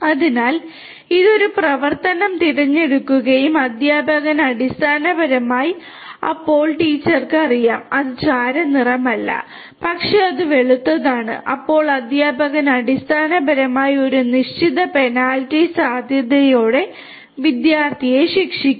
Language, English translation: Malayalam, So, it chooses an action and the teacher basically will then teacher knows that no, it is not grey, but it is white then the teacher basically will penalize the student with a certain penalty probability, right